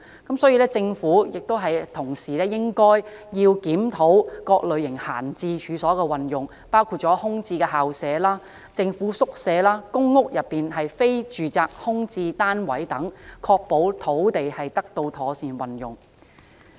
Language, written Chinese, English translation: Cantonese, 同時，政府應檢討各類型閒置處所的運用，包括空置校舍、政府宿舍和公屋內非住宅空置單位等，確保土地資源得到妥善運用。, Moreover the Government should review the uses of various kinds of idle premises including vacant school premises government quarters and vacant non - domestic units in public housing estates to ensure proper use of land resources